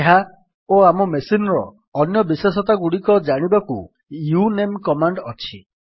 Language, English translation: Odia, To know this and many other characteristics of our machine we have the uname command